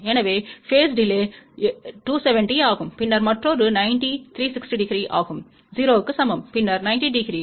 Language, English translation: Tamil, So, phase delay is 270, then another 90 360 degree which is equivalent to 0 and then 90 degree